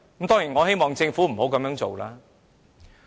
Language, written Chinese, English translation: Cantonese, 當然，我希望政府不要這樣做。, I definitely do not wish the Government to do so